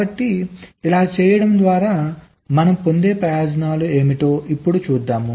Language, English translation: Telugu, so by doing this, what are the advantage we gain